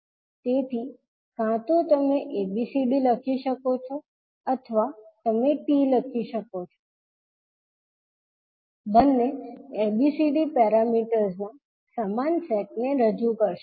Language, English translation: Gujarati, So, either you can write ABCD or you can simply write T, both will represent the same set of ABCD parameters